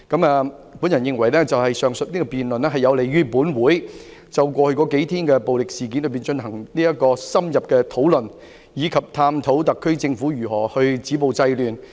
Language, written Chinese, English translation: Cantonese, 我認為上述辯論有利於本會就過去數天的暴力事件進行深入討論，以及探討特區政府如何止暴制亂。, I think such a debate is conducive to in - depth discussions by this Council on the violent incidents over the past few days and exploration of ways for the Government to stop violence and curb disorder